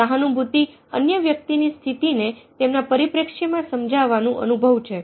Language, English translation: Gujarati, empathy is experience of understanding another person's condition from the perspective